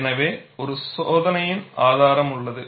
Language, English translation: Tamil, So, you have an experimental evidence